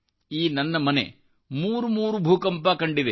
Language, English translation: Kannada, This house has faced three earthquakes